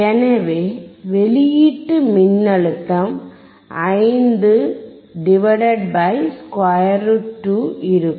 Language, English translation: Tamil, So, the output voltage would be (5 / √2)